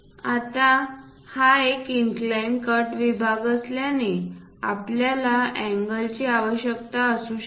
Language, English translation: Marathi, Now, because it is an inclined cut section, we may require angle